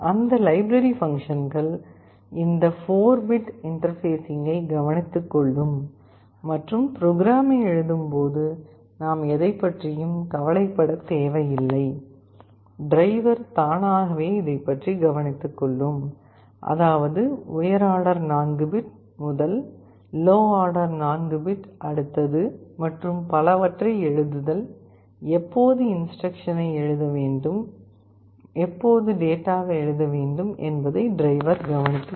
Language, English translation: Tamil, In that library function, this 4 bit interfacing will be taken care of and while writing the program, we need not have to worry about anything, the driver will automatically take care of; that means, writing the high order 4 bit, first low order 4 bit next and so on and so forth, when to write instruction, when to write data those will be taken care of by the driver